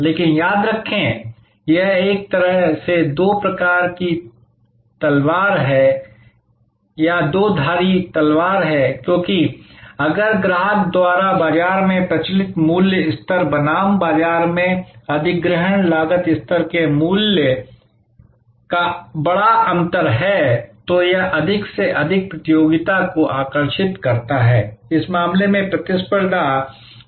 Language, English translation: Hindi, But, remember that this is a kind of a two way sword or two edged sword, because if there is a big gap between the value perceived by the customer versus the prevailing price level in the market, the acquisition cost level in the market, it attracts more and more competition, the competition goes up in this case